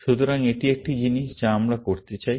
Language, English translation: Bengali, So, that is one thing that we would like to do